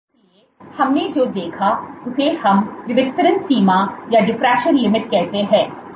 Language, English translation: Hindi, So, what we saw, Which will call is as diffraction limit